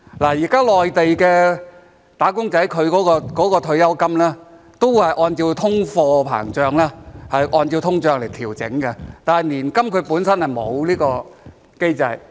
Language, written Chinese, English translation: Cantonese, 現時內地"打工仔"的退休金都是按照通貨膨脹來調整的，但是年金本身就沒有這個機制。, At present the pensions of Mainland wage earners are all adjusted for inflation but there is no such mechanism for annuities